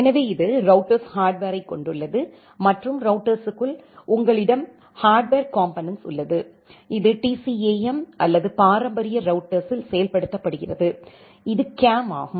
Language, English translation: Tamil, So, this contains the router hardware and inside the router, you have the hardware component, which is implemented in TCAM or in traditional router, it is CAM